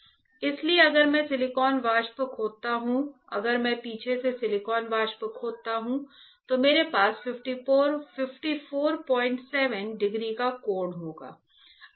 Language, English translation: Hindi, Because if I etch silicon vapor; if I etch silicon vapor from backside, I will have a 54